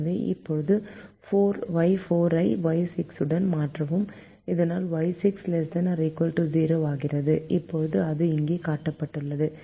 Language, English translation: Tamil, so now replace y four with the minus y six, so that y six becomes less than or equal to zero